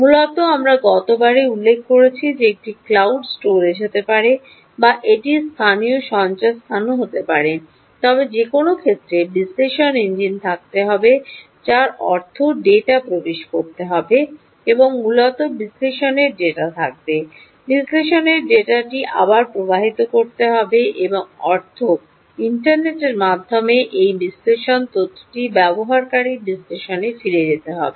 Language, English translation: Bengali, essentially, we mentioned last time that it could be cloud storage or it could be, ah, local storage as well, but in any case, analytics engine has to be there, which means data has to go in and, essentially, analysis data, analysis data will have to flow back, which means this analysis data via the internet has to go back to the user analysis